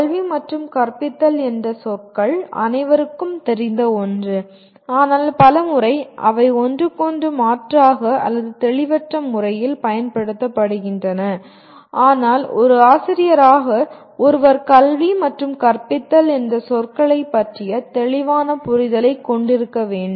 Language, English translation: Tamil, These are words, education and teaching are something that everybody is familiar with but many times they are used a bit interchangeably or ambiguously and so on but as a teacher one is required to have a clear understanding of the words “education” and “teaching” which we will explore in the following unit